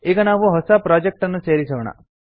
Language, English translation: Kannada, Now let us add a new project